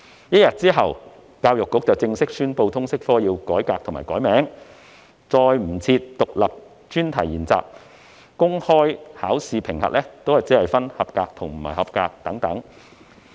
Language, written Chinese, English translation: Cantonese, 一天之後，教育局正式宣布通識科要改革及重新冠名，不再設有獨立專題研習，公開考試評級亦只設"及格"及"不及格"等。, One day later EDB formally announced that the subject would be reformed and renamed IES would be removed and the result of the public examination would be marked as pass or fail